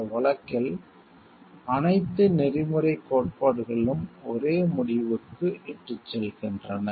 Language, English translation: Tamil, In all this case, all of the ethical theories lead to the same conclusion